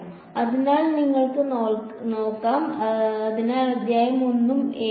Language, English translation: Malayalam, So, you can look at; so, chapter 1 and 7